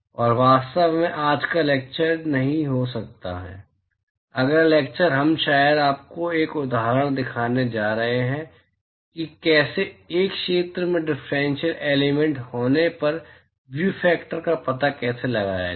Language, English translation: Hindi, And in fact, may not be today’s lecture, next lecture we probably I am going to show you an example of how to how to find out the view factor if you have a differential element on a sphere